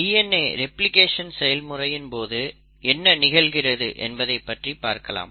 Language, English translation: Tamil, So let us look at what happens during DNA replication